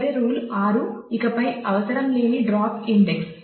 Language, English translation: Telugu, The last rule 6 is drop index that are no longer required